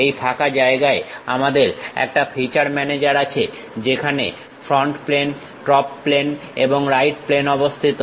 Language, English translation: Bengali, In this blank space, we have feature manager where front plane, top plane and right plane is located